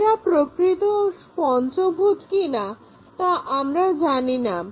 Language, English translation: Bengali, We do not know whether it is a true pentagon or not